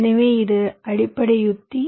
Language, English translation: Tamil, right, so this is the basic strategy